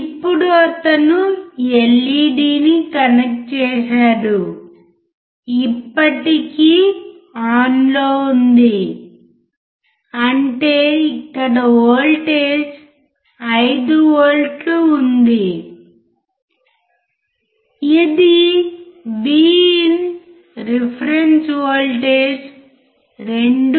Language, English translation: Telugu, Now he has connected the LED still on means they apply voltage is 5 volts which is V IN reference was the voltage is 2